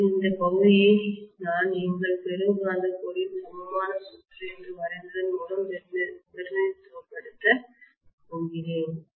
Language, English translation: Tamil, Now this portion I am going to represent by what we drew as the equivalent circuit of our ferromagnetic core, right